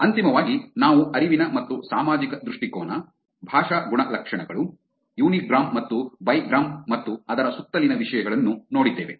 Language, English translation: Kannada, Finally, we looked at cognitive and social orientation, linguistic attributes, unigram, and bigram, and topics around that